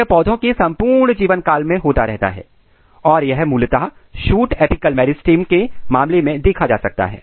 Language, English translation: Hindi, It is happening throughout the life and this is this is a case of typically in case of shoot apical meristem